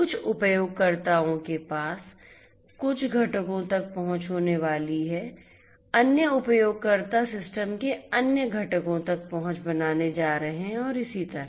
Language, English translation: Hindi, Certain users are going to have access to certain components other users are going to have access to the other components of the system and so on